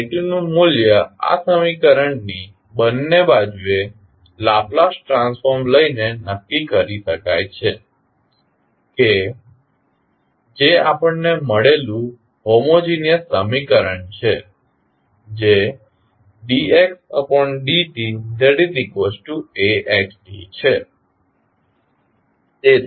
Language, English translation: Gujarati, The value of phi t can be determined by taking the Laplace transform on both sides of this equation that is the homogeneous equation we have got that is dx by dt is equal to A xt